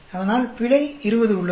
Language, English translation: Tamil, So, error has 20